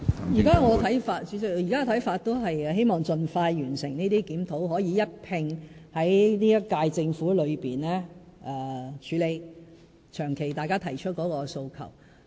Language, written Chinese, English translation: Cantonese, 主席，我現時的看法仍然是希望盡快完成這些檢討，可以一併在本屆政府內處理大家長期提出的訴求。, President I still think that we should first complete these reviews as early as possible and then address peoples long - standing aspirations all at the same time during the term of the current Government